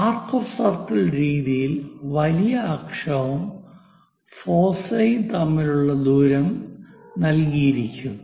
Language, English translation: Malayalam, In arc of circle method, we have seen major axis is given, the distance between foci is given